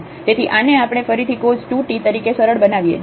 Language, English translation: Gujarati, So, this we can again simplify to have this cos 2 t